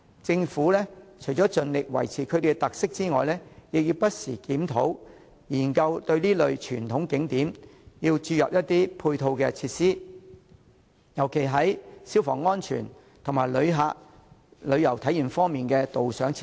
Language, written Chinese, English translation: Cantonese, 政府除了應盡力保持其特色外，亦應不時檢討和研究為這類傳統景點添加配套設施，尤其是消防安全設施，以及增添旅遊體驗的導賞設施。, The Government should not only strive to maintain the characteristics of these traditional tourist attractions but also regularly review and explore possibilities of providing them with ancillary facilities particularly fire safety equipment and guided tour facilities which will enrich the touring experience